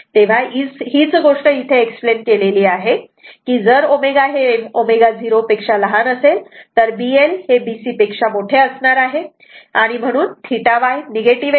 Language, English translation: Marathi, So, same thing is explained here that your what we call when omega less than omega 0 B L greater than B C theta Y will be negative right